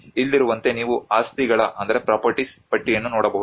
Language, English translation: Kannada, Like here you can see a list of properties